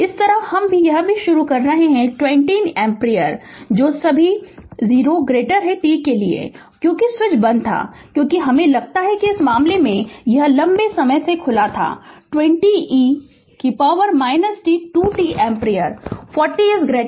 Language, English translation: Hindi, Similarly, it is also initially 20 ampere you got that is for all t less than 0 and because switch was closed for ah I think in this case it was open for a long time and 20 e to the power minus 2 t ampere 40 greater than 0